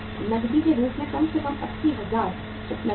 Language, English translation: Hindi, At least 80,000 is is available as cash